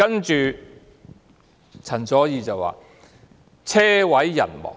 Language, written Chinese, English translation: Cantonese, 接着，陳佐洱說："車毀人亡"。, Next CHEN Zuoer said a car crash killing everybody on board